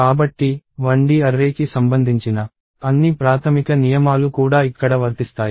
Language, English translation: Telugu, So, all the basic rules related to 1D array also applies here